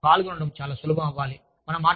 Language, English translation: Telugu, So, they should be, easy to participate in